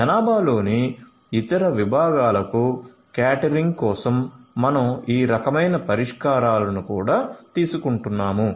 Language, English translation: Telugu, We are also taking about these kind of solutions for catering to the other segments of the population